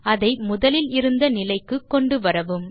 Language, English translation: Tamil, Bring it back to initial position